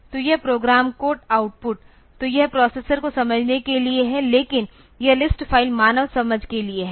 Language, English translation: Hindi, So, this program code output; so, this is for the processor to understand, but this list file to this is for human understanding